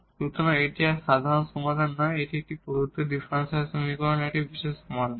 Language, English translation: Bengali, So, this is no more a general solution, this is a particular solution of the given differential equation